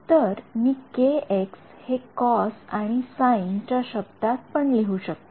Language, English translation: Marathi, So, I can also write down kx can be written in terms of cos and sin